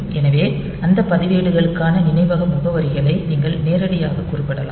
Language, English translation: Tamil, So, you can directly specify the memory addresses for those registers